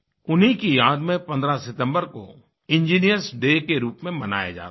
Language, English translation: Hindi, In his memory, 15th September is observed as Engineers Day